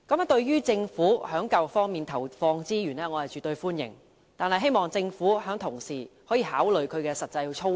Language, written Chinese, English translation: Cantonese, 對於政府在教育方面投放資源，我絕對歡迎，但希望政府可同時考慮有關實際操作。, I definitely welcome the Governments proposal for investing additional resource in education yet I hope that the Government will take into account the practical operation concurrently